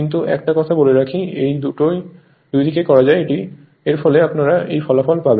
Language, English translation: Bengali, But let me tell you one thing, it can be done on either side; you will get the same result right